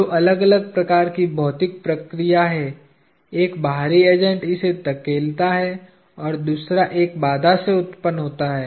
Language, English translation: Hindi, Two different kinds of physical processes: one, an external agent pushing it and the second from a constraint